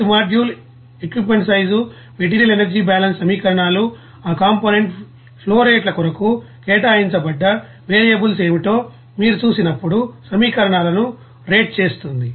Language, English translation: Telugu, And each module will content that you know equipment size, the material energy balance equations, even rate equations when you will see that what are the allocated variables for that component flowrates that also will be there